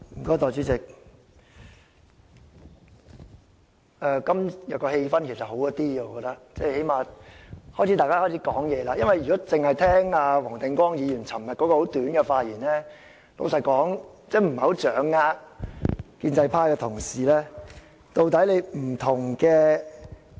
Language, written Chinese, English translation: Cantonese, 代理主席，我覺得今天的氣氛改善了，最低限度大家開始表達意見，因為如果只聽黃定光議員昨天很簡短的發言，坦白說，真的不太掌握建制派同事的想法。, Deputy Chairman I think the atmosphere has improved today as some Members have at least started to express their views . Frankly speaking if we only listen to the short speech delivered by Mr WONG Ting - kwong yesterday I really could not understand what pro - establishment Members were thinking